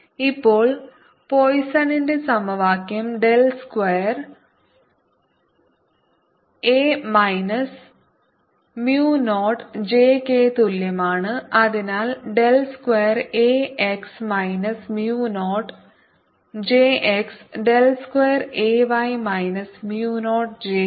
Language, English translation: Malayalam, now, using the poisson's equation, del square a equals minus mu naught j and therefore del square a x is minus mu naught j x and del square a y is minus mu naught j y